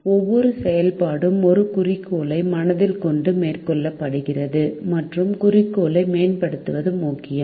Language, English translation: Tamil, every activity is carried out with an objective in mind and it is important to optimize the objective